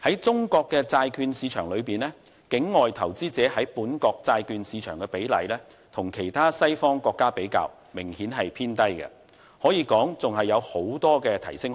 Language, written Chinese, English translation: Cantonese, 中國債券市場中，境外投資者在本國債券市場的比例與其他西方國家比較明顯偏低，可以說仍有大幅提升空間。, The proportion of foreign investors in Chinas local bond market is obviously very low when compared with the western world . It can be said that there is still room for improvement